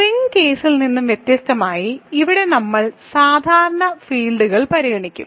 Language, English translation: Malayalam, So, unlike in the rings case we usually considered fields when in this fashion